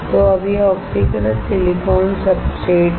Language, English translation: Hindi, So now, it is oxidized silicon substrate